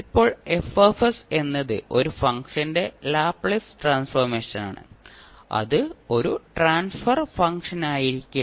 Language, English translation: Malayalam, Now, we have to keep in mind that F s is Laplace transform of one function which cannot necessarily be a transfer function of the function F